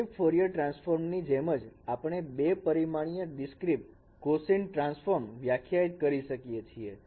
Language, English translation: Gujarati, So, similar way like discrete Fourier transform we can define also discrete two dimensional discrete cosine transform